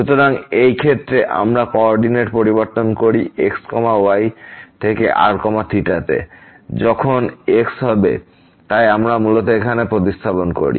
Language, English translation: Bengali, So, in this case when we change the coordinates from to theta, then will be a so we basically substitute here